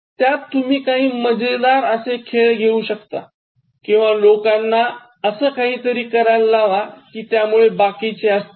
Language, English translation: Marathi, So, you can have funny games, you can make people do something to cause laughter in others